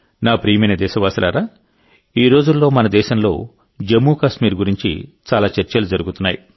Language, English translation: Telugu, My dear countrymen, nowadays there is a lot of discussion about Jammu and Kashmir in our country